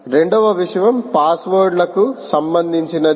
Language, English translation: Telugu, the second thing is with is with respect to passwords